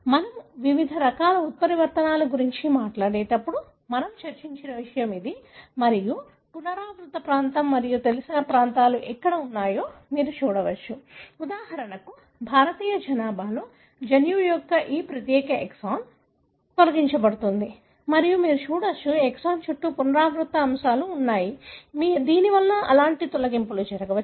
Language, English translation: Telugu, This is something that we discussed when we were talking about the different types of mutations and you can see that where are the regions that are, having the repeat region and what is known is, for example in Indian population, this particular exon of the gene, gets deleted and you can see that, have repeat elements flanking these exon, which may possibly result in such kind of deletions